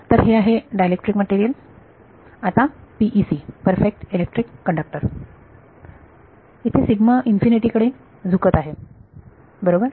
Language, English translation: Marathi, So, this is a dielectric material now PEC: Perfect Electric Conductor sigma tends to infinity right